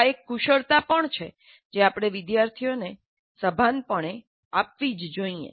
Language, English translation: Gujarati, This is also a skill that we must consciously impart to the students